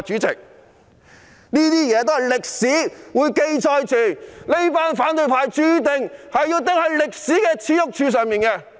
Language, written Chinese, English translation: Cantonese, 這一切都會有歷史記載，反對派注定要釘在歷史耻辱柱上。, This will be recorded in history and the opposition camp is destined to be nailed to the pillar of shame in history